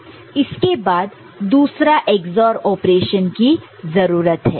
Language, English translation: Hindi, So, after that another XOR operation is required